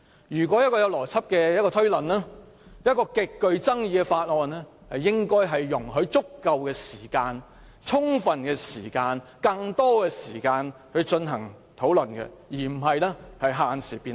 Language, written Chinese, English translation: Cantonese, 如果是有邏輯的推論，對於一項極具爭議的法案，應該容許議員有足夠、更多時間進行討論，而非限時辯論。, In the case of logical reasoning he should allow Members sufficient or more time for discussing an extremely controversial bill rather than setting a time limit for the debate